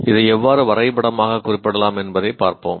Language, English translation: Tamil, Let us look at how this can be in a simple way diagrammatically represented